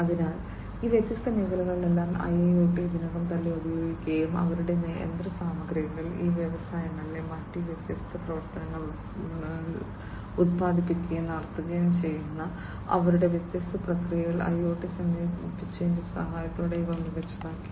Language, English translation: Malayalam, So, in all of these different sectors IIoT has been already used and their machinery, their different processes in manufacturing and carrying on different other activities in these industries these have been made smarter with the help of incorporation of IIoT